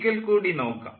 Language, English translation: Malayalam, let me see once again, ah